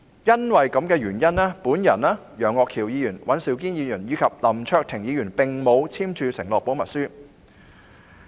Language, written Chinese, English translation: Cantonese, 基於這個原因，我、楊岳橋議員、尹兆堅議員及林卓廷議員並沒有簽署保密承諾書。, For this reason Mr Alvin YEUNG Mr Andrew WAN Mr LAM Cheuk - ting and I have not signed the confidentiality undertaking